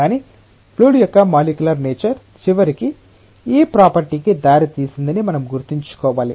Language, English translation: Telugu, But we have to keep in mind that a molecular nature of the fluid, that has eventually given rise to this property